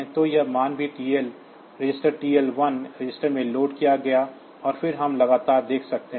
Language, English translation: Hindi, So, this value is also loaded in the TL register TL1 register, and then